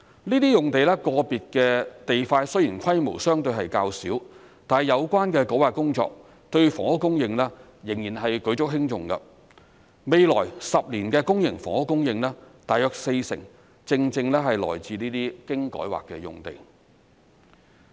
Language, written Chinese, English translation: Cantonese, 這些用地個別的地塊雖然規模相對較小，但有關的改劃工作對房屋供應仍然是舉足輕重，未來10年的公營房屋供應大約四成正正是來自這些經改劃的用地。, Though the size of individual lots in these sites is relatively small the relevant rezoning work is still crucial to housing supply as around 40 % of public housing supply in the next 10 years will come from these rezoned sites